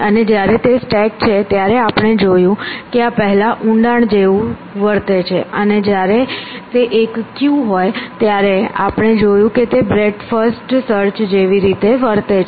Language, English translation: Gujarati, And when it is a stack we saw that this behaves like depth first, and when it is a queue we saw it behaves like breadth first